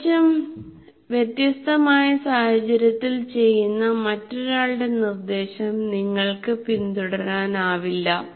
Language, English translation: Malayalam, You cannot follow somebody else's instruction which is done in entirely different situation